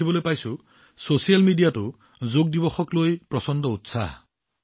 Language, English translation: Assamese, I see that even on social media, there is tremendous enthusiasm about Yoga Day